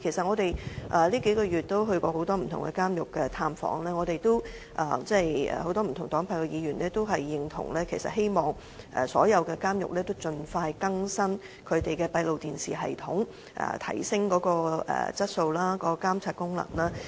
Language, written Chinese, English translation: Cantonese, 這數個月我們到訪過很多不同監獄，很多不同黨派的議員都同意，希望所有監獄盡快更新閉路電視系統，提升其質素及監察功能。, Over these few months we have visited many different prisons . Members from various political parties invariably agree and hope that the CCTV systems in all prisons can be updated as soon as possible so as to enhance their quality and surveillance functions